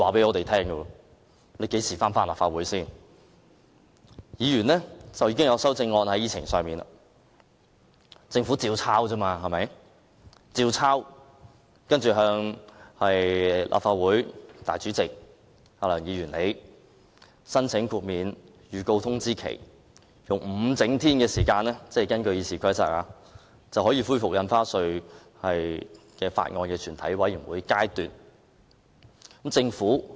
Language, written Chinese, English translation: Cantonese, 議程上已列出議員的修正案，政府只須依樣葫蘆，接着向立法會主席梁議員申請豁免預告通知，根據《議事規則》，5 整天後就可恢復《條例草案》的全體委員會審議階段的討論。, The Members amendments have already been set out in the agenda . The Government only needs to incorporate them and then apply to the President of the Legislative Council Mr LEUNG for approval to dispense with the notice of amendment . According to RoP the discussion at the Committee stage of the Bill can be resumed in five clear days